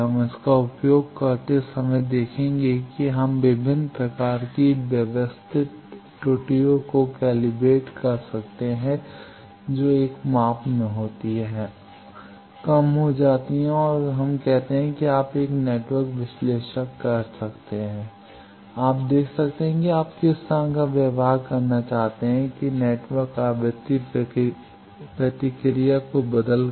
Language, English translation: Hindi, We will see when using that if we do calibrate various types of systematic errors which occurs in a measurement that gets reduced then there are stimulus that start as we say that you can a network analyzer, you can see from you want to see the behavior of a network with by changing frequency response of